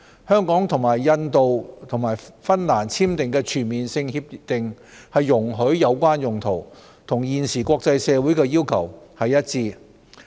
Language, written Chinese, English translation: Cantonese, 香港與印度及芬蘭簽訂的全面性協定容許有關用途，與現時國際社會的要求一致。, Hong Kongs signing of Comprehensive Agreements with India and Finland to allow such use of information is consistent with the current requirements of the international community